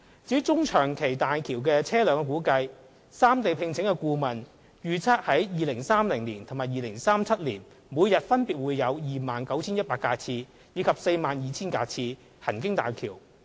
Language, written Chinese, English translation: Cantonese, 至於大橋車流量的中長期估算，三地聘請的顧問預測，於2030年及2037年每日分別會有約 29,100 架次及約 42,000 架次車輛行經大橋。, As for the medium - to - long - term estimates of vehicular flow on HZMB the consultancy commissioned by the three regions anticipates that the daily vehicular throughput on HZMB will be around 29 100 vehicle trips and 42 000 vehicle trips in 2030 and 2037 respectively